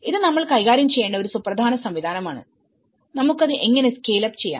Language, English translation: Malayalam, So, this is an important mechanism we have to tackle, how to, we can scale it up